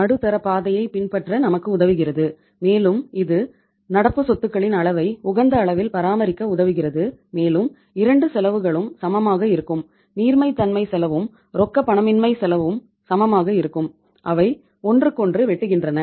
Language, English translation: Tamil, Helps us to follow the middle path and that helps us to maintain a level of current assets which are equal to the means which is at the optimum level and there you can have both the costs equal to each other, cost of liquidity and cost of illiquidity they are equal to each other, they are intersecting with each other